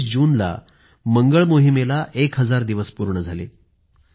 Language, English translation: Marathi, On the 19th of June, our Mars Mission completed one thousand days